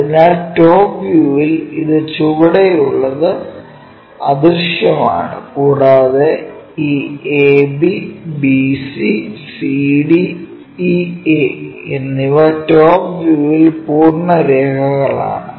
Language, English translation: Malayalam, So, in the top view, this bottom one is invisible and this ab, bc, cd, ea are full lines in top view